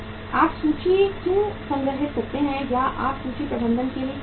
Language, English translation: Hindi, Why you store the inventory or why you go for the inventory management